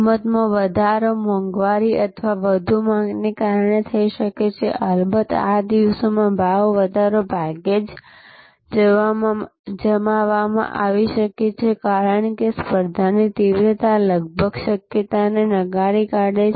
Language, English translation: Gujarati, Price increase can be done due to a cost inflation or over demand, these days of course, price increase can be very seldom deployed, because the competition intensity almost a negates the possibility